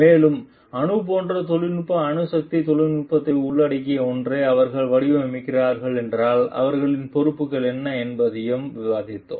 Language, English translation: Tamil, And maybe we have discussed also like what is their responsibilities if they are designing something which are of nuclear like involves technology nuclear technology